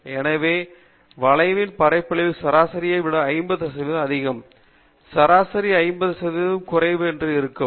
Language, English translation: Tamil, So, you can see that the area of the curve would be 50 percent below the mean and 50 percent above the mean